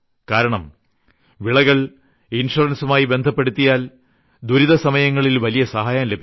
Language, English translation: Malayalam, If a farmer gets linked to the crop insurance scheme, he gets a big help in the times of crisis